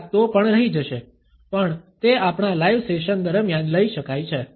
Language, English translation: Gujarati, Some maybe is still left out, but they can be taken up during our live sessions